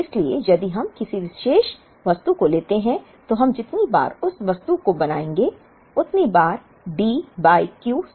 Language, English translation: Hindi, So, if we take a particular item, the number of times we would make that item is D by Q